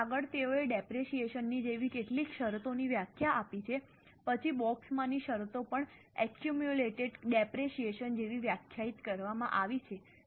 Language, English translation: Gujarati, Now next they have given definitions of some of the terms like depreciation, then the terms in the box have also been defined like accumulated depreciation